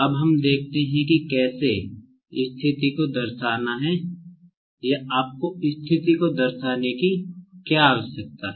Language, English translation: Hindi, Now, let us see like how to represent the position or what do you need to represent the position, only